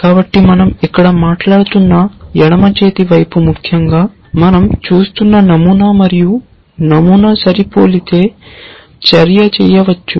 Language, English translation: Telugu, So, the left hand side that we are talking about here is essentially the pattern that we are looking at and if the pattern matches then the action can be done